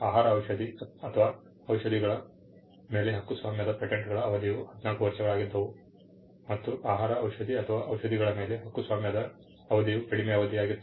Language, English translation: Kannada, The term of a patent was 14 years and the term of a patent for a food medicine or drug was a shorter period